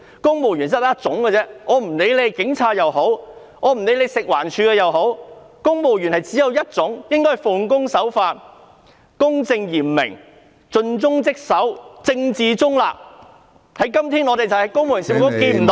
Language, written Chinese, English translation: Cantonese, 公務員只有一種，不論是警察還是食環署人員，他們必須奉公守法、公正嚴明、盡忠職守，政治中立，但我們看不到......, There is only one kind of civil servants be they police officers or staff of the Food and Environmental Hygiene Department they must be law - abiding dedicated impartial and politically neutral; yet we cannot see